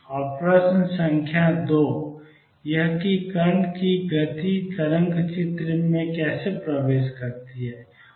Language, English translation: Hindi, And question number 2 is how is the speed of particle enters the wave picture